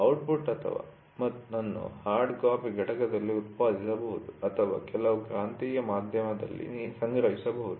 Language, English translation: Kannada, The output can be generated on a hard copy unit or stored in some magnetized media